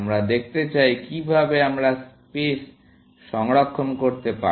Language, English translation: Bengali, We want to look at how we can save on spaces